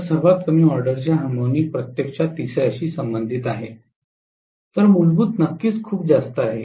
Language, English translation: Marathi, So lowest order harmonic is actually corresponding to third, whereas fundamental of course is very much present